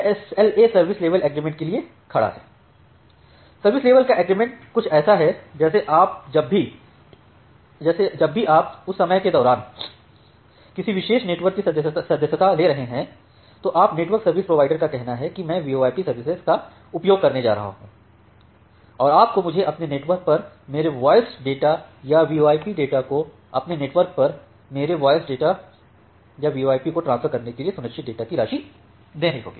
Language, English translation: Hindi, So, this SLA stands for service level agreement, the service level agreement is something like whenever you are subscribing to a particular network during that time, you say the network service provider that I am going to use VoIP services and you should give me this much amount of data for or this much amount of services you should ensure from your end to transfer my voice data or VoIP data over your network